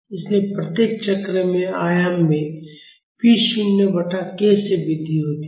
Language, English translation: Hindi, So, at each cycle, the amplitude increases by p naught by k